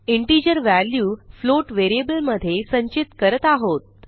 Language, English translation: Marathi, Im storing the integer value in a float variable